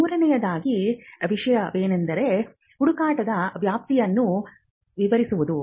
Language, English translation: Kannada, The third thing is to describe the scope of the search